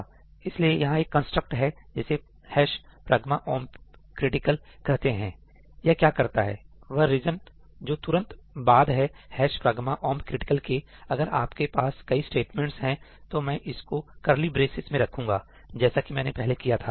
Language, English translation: Hindi, So, there is a construct called ëhash pragma omp criticalí; what it does is, the region immediately after ëhash pragma omp criticalí, if you have multiple statements, I can put it in curly braces, like I have done before